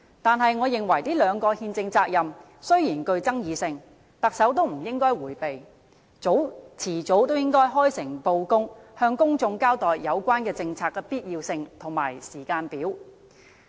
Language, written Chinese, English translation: Cantonese, 但是，我認為這兩個憲政責任雖然具爭議性，特首也不應該迴避，遲早也應該開誠布公，向公眾交代有關政策的必要性和時間表。, However I hold that the Chief Executive should not dodge these two constitutional responsibilities despite their controversy . Sooner or later she will have to frankly and openly tell the public the necessity of the related policy and its timetable